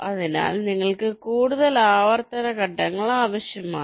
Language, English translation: Malayalam, so you need some more iterative steps